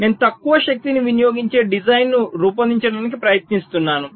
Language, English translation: Telugu, i am trying to create a design that is expected to consume less power